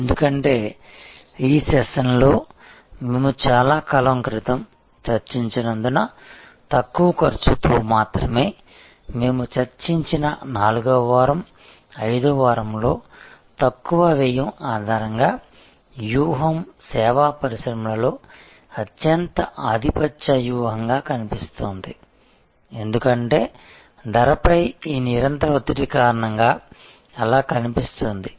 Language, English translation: Telugu, Because, only with costs low costs as we have discussed a long time back during this session, I think in the 4th week, 5th week we discussed, that the strategy based on lowest cost is appearing to be the most dominant strategy in service industries, because of this continuous pressure on price